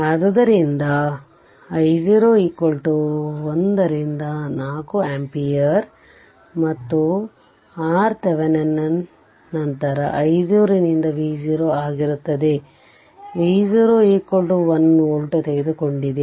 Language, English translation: Kannada, So, i 0 is equal to 1 by 4 ampere right and R Thevenin, then will be V 0 by i 0 V 0 has taken 1 volt right